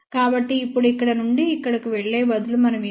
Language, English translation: Telugu, So, now instead of moving from here to here, what we need to do